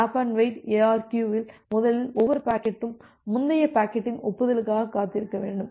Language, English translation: Tamil, In stop and wait ARQ, first of all every packet needs to wait for the acknowledgement of the previous packet